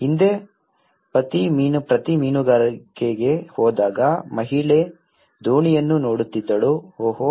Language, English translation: Kannada, Earlier, husband when he goes for fishing the woman used to see the boat, oh